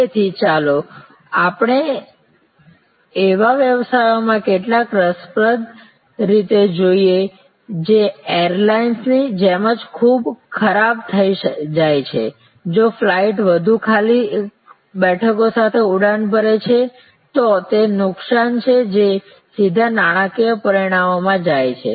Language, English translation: Gujarati, So, let us look at some interesting ways in businesses which are very grown to perishability like the airline, where if the flight takes off with more empty seats, it is a loss that goes straight into the financial results